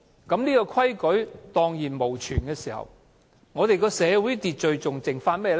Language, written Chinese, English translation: Cantonese, 當這個規矩蕩然無存，我們的社會秩序還剩下甚麼？, When this principle is gone what is left for maintaining our social order?